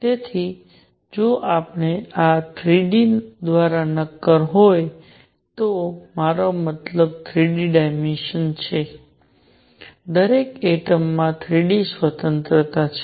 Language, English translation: Gujarati, So, if this is 3 d solid by 3 d, I mean 3 dimensional, each atom has 3 degrees of freedom